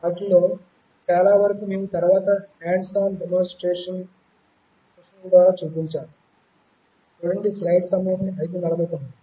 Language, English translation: Telugu, Most of them we actually showed through hands on demonstration sessions subsequently